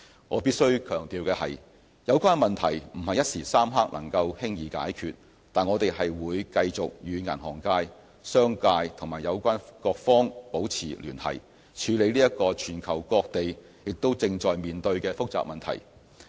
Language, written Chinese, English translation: Cantonese, 我必須強調的是，有關問題不是一時三刻能夠輕易解決，但我們會繼續與銀行界、商界和有關各方保持聯繫，處理這個全球各地也正在面對的複雜問題。, I would like to stress that while there is no easy quick fix we will continue to work with the banking industry business community and relevant stakeholders to handle this global and complex issue